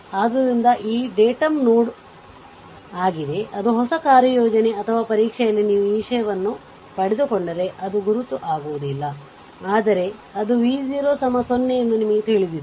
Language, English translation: Kannada, So, this is your datum node, it it will in that new assignments or exam whatever you get this thing will not be mark, but you know that it it is v 0 is equal to 0